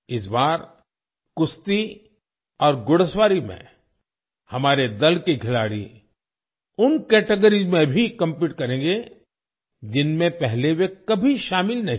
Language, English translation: Hindi, This time, members of our team will compete in wrestling and horse riding in those categories as well, in which they had never participated before